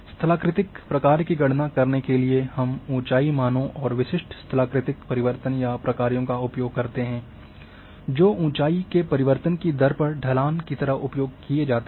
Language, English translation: Hindi, Now, that to calculate topographic function we use the elevation values and typical topographic transformation or functions which are used like slope which is rate of change of elevation